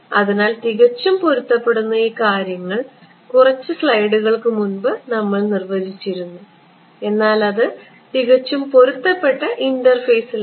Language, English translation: Malayalam, So, perfectly matched meant these things that is what we have defined in a few slides ago, but perfectly matched interface